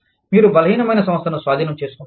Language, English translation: Telugu, You take over a weaker company